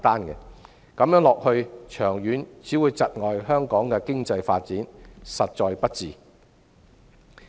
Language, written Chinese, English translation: Cantonese, 長遠而言，這樣只會窒礙香港的經濟發展，實在不智。, In the long run it will only stifle the economic development of Hong Kong which is most unwise indeed